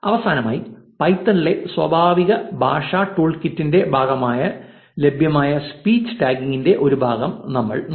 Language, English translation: Malayalam, Finally, we looked at part of speech tagging available as part of the natural language toolkit in python